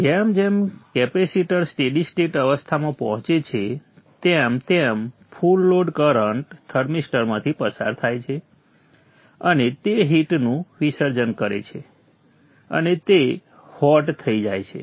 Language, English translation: Gujarati, And as the capacity reaches steady state, the full load current is passing through the thermister and it is dissipating heat and it will become hot